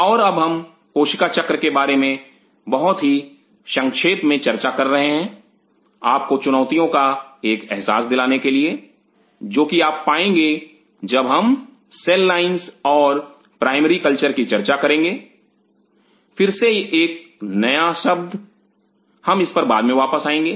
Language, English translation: Hindi, And now we are talking about the cell cycle very briefly to give you a feel about the challenges what you will be coming across while we will be talking about the cell lines and primary culture again this is another new term, we will come back later into it